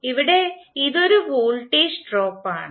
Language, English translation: Malayalam, So here it is a voltage drop